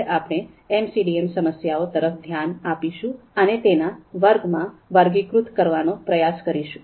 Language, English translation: Gujarati, Now we will look at the MCDM problems and try to classify them into understandable categories